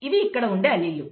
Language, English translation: Telugu, These are the alleles